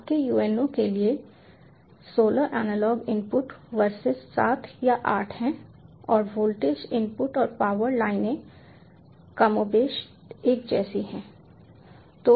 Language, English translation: Hindi, there are sixteen analog input ah, seven for seven or eight for your uno, and the voltage inputs and power lines are more or less same